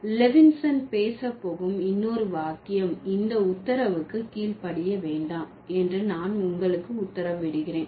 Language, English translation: Tamil, The other sentence that Levinson would talk about, I order you not to obey this order, right